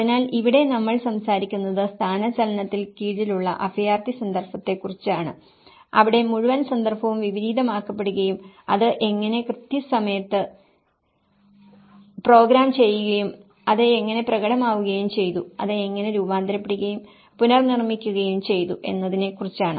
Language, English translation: Malayalam, So, here because we are talking about the refugee context under displacement where the whole context has been reversed out and how it is programmed in time and how it has been manifested, how it has been shaped and reshaped